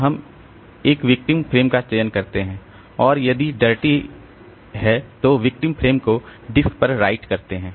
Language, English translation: Hindi, So, we select a victim frame and write victim frame to disk if dirty